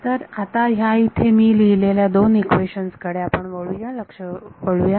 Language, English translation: Marathi, So, now let us move attention to these two equations that I written over here